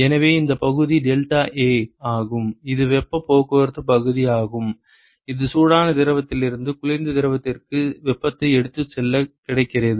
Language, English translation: Tamil, So, this area is deltaA so, that is the area of heat transport which is available for taking heat from the hot fluid to the cold fluid